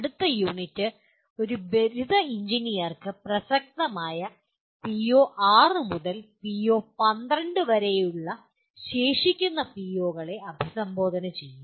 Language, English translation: Malayalam, The next unit will address the remaining POs namely from PO6 to PO 12 that are relevant to a graduating engineer